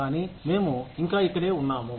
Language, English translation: Telugu, But, we are still here